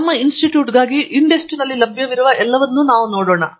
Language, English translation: Kannada, We will see what are all available on INDEST for our institute